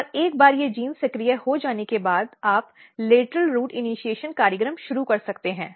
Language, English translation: Hindi, And this signalling pathway once these genes are activated you can start lateral root initiation program